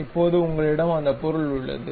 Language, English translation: Tamil, Now, you have that object